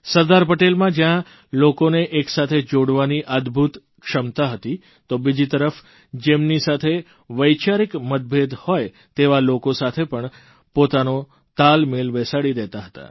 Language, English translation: Gujarati, On the one hand Sardar Patel, possessed the rare quality of uniting people; on the other, he was able to strike a balance with people who were not in ideological agreement with him